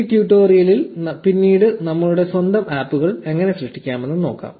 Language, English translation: Malayalam, We will see how to create our own apps later in this tutorial